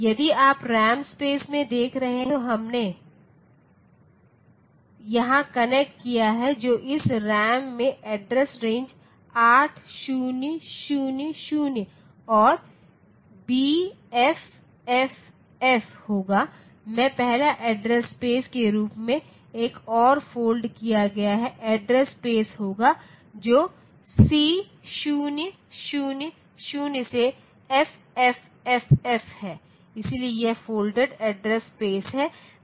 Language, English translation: Hindi, If you are looking into the RAM space that we have connected here, then this RAM it will have the address range 8000 to BFFF, as the first address space and there will be another folded address space which is C000 to FFFF, so this will be the folded address space